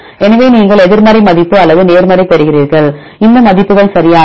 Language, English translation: Tamil, So, you get the negative value or the positive values right with the respect to this one